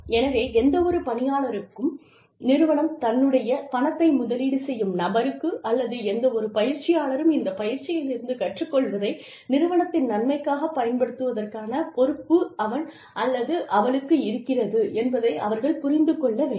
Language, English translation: Tamil, So, any employee, who invests the company money, or who goes through, any kind of training, should understand that, she or he has a responsibility, of contributing the learning from this training, to the benefit of the organization